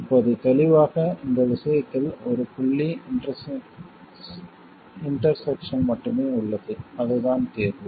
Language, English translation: Tamil, Now clearly in this case there is only one point of intersection and that is the solution